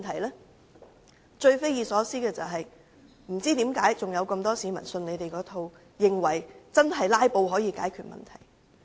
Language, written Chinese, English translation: Cantonese, 不過，最匪夷所思的是，仍有很多市民相信他們這一套，以為"拉布"可以解決問題。, However what is most inconceivable is that many members of the public still believe that their filibustering can help solve problems